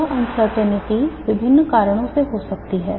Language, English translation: Hindi, This uncertainty can be due to various reasons